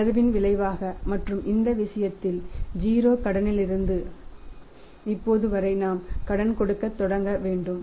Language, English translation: Tamil, As a result of relaxation and in this case the problem we saw that it is from 0 credit to now we have to start giving the credit